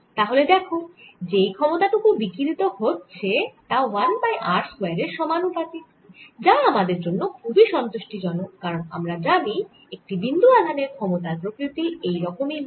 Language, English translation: Bengali, so you see, the power radiates is also goes as one over r square, which is very satisfying because that how power from appoint source goes